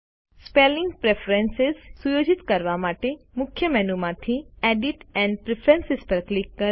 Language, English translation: Gujarati, To set spelling preferences, from the Main menu, click Edit and Preferences